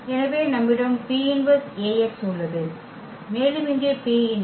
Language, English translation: Tamil, So, we have P inverse e Ax and here also P inverse